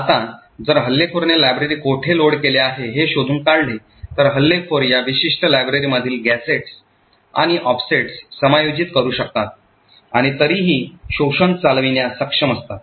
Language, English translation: Marathi, Now, if the attacker finds out where the library is loaded then the attacker could adjust the gadgets and the offsets within this particular library and still be able to run the exploit